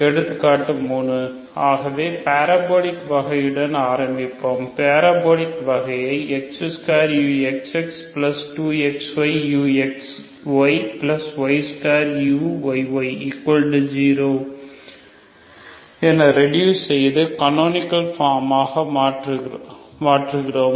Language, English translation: Tamil, Example number three so see will start with the parabolic case, so parabolic case is so reduce X square U X X plus 2 X Y U X Y plus Y square U Y Y equal to 0 into canonical form